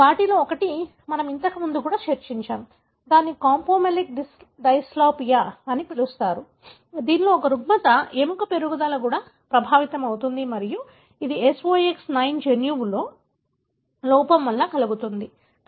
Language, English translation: Telugu, One of them is, we also discussed earlier, called as campomelic dysplasia, a disorder wherein, the growth of the bone is also affected and that is caused by defect in SOX 9 gene